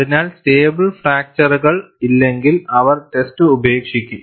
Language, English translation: Malayalam, So, if there is no stable fracture, they would discard the test